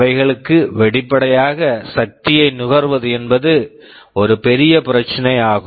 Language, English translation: Tamil, For them obviously, energy consumption is a big issue